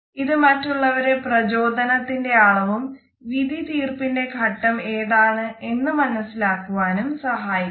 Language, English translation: Malayalam, It can be helpful in learning the motivation level of other people and it can also help us to understand what is the stage of decision making